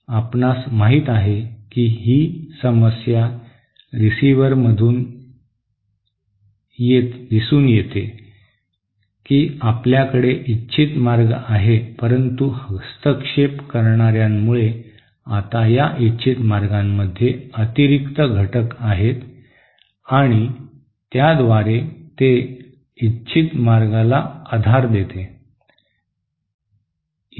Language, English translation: Marathi, You know that, this is the problem that is seen in the receiver, that we have a desired channel but because of the interferers, there are now additional components in the desired channel and thereby it core ups the desired channel